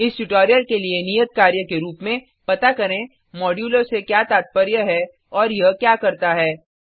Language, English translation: Hindi, As an assignment for this tutorial Find out what is meant by the modulo operator and what it does